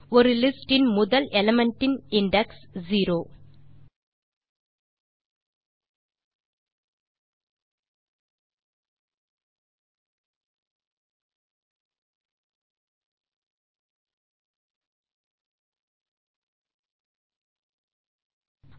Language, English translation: Tamil, Index of the first element of a list is 0